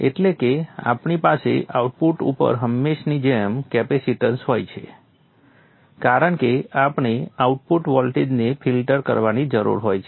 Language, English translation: Gujarati, And of course we have a capacitance at the output as usual because we need to filter the output voltage